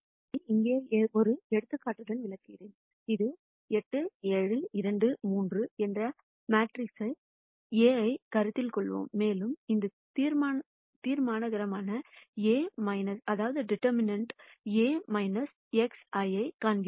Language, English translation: Tamil, Let me illustrate this with an example here, let us consider the matrix A which is 8 7 2 3 and let us compute this determinant A minus lambda I